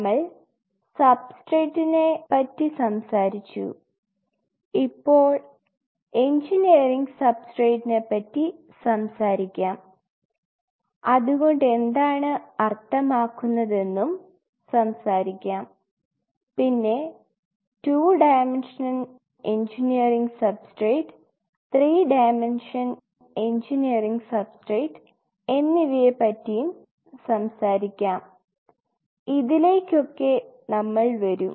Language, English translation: Malayalam, We talked about substrate and now we will talk about Engineering Substrate and what does that mean an Engineering Substrate when we talk about we will talk about Engineering Substrate in 2 Dimension Engineering Substrate in 3 Dimension we will come to this